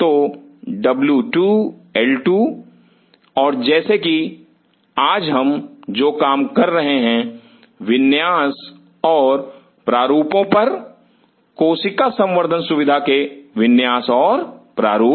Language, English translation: Hindi, So, W 2, L 2 and so what we are dealing today is layout and designs, layout and design of cell culture facility, facility